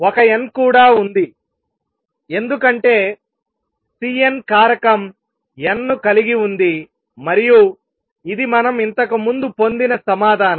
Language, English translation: Telugu, There is an n also because the C n factor has n and this is precisely the answer we had obtained earlier